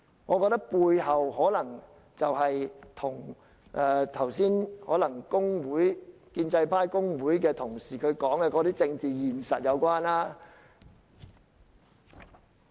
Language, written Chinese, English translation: Cantonese, 我覺得背後的原因可能與剛才建制派或工會的同事所說的政治現實有關。, I believe the reason behind it may be related to the political reality referred to by Honourable colleagues from the pro - establishment camp or trade unions